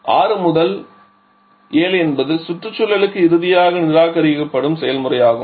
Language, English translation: Tamil, 6 to 7 is the process during which it is finally getting rejected to the surrounding